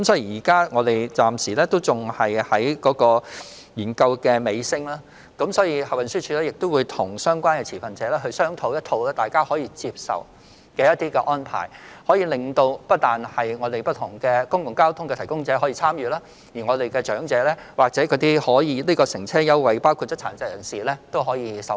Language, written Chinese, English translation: Cantonese, 現在已是研究的尾聲，運輸署會與相關持份者商討並作出大家可以接受的安排，不但讓不同的公共交通服務提供者可以參與，長者或有關乘車優惠計劃已涵蓋的殘疾人士也可以受惠。, The study is approaching completion and the Transport Department will have discussions with the stakeholders concerned and make arrangements that are acceptable to all so that not only the various public transport service providers can participate in the scheme but the elderly and people with disabilities already covered by the relevant transport fare concession scheme can also be benefited